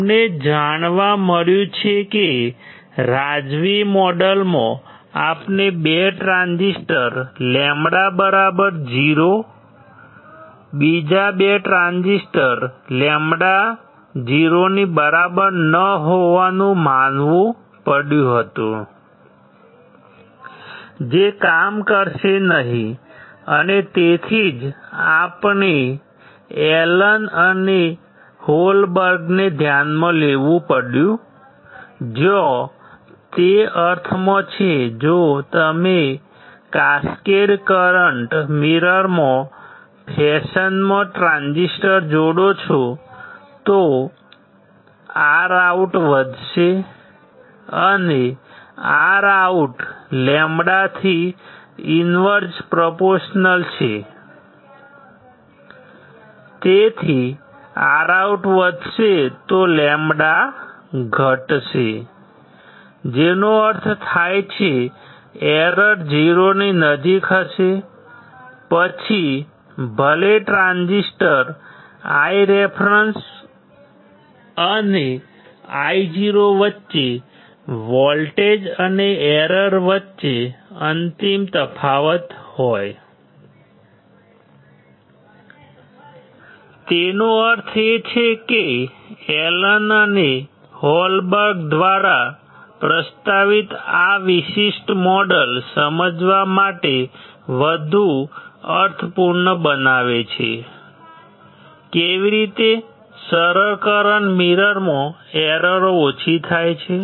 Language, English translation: Gujarati, We found that the in the Razavis model, we had to assume 2 transistor lambda equals to 0, another 2 transistor lambda is not equals to 0, which will not work, and that is why we had to consider Allen and Holberg where it make sense that if you if you attach transistors in the fashion in the cascaded current mirror, then your R OUT will increase, and since R OUT is inverse proportional to lambda, that is why your lambda will decrease if R OUT is increased; which means, your error would be close to 0, even if there is a final difference between your voltage and error across the transistors I reference and Io; that means, that this particular model which is proposed by Allen and Holberg makes more sense to understand, how the errors are reduced in the simplest current mirror right